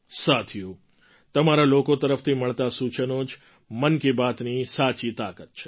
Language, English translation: Gujarati, Friends, suggestions received from you are the real strength of 'Mann Ki Baat'